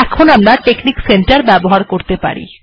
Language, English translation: Bengali, We are now ready to use the texnic center